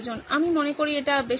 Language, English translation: Bengali, I think that is pretty much it